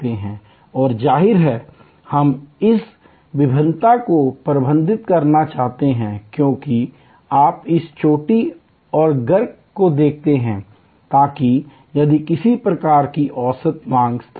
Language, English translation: Hindi, And obviously, we want to manage this variation as you see this peak and trough, so that if there is a some kind of an average demand level